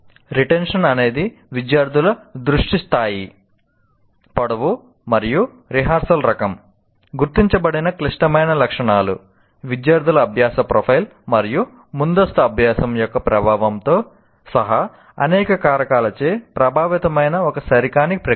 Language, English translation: Telugu, And retention is not a, is an inexact process influenced by many factors, including the degree of student focus, the lengthen type of rehearse on the record, the critical attributes that may have been identified, the student learning profile, and of course the influence of prior learnings